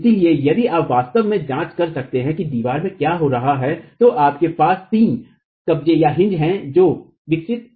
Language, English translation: Hindi, So, if you can actually examine what is happening in the wall, you have three hinges that are developed